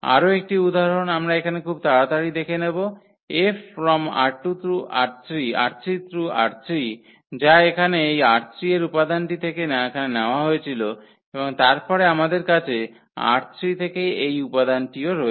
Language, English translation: Bengali, One more example we can look quickly here this R 3 to R 3 which was which is given here by this element from R 3 and then here also we have this element from R 3